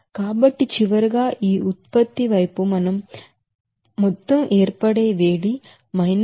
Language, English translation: Telugu, So finally, total heat of formation for this product side it will be 6764